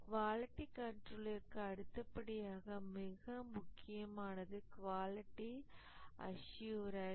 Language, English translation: Tamil, And after quality control, the next breakthrough was quality assurance